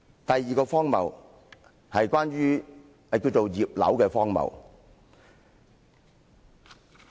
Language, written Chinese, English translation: Cantonese, 第二個荒謬，叫"葉劉"的荒謬。, The second absurdity is called the absurdity of Regina IP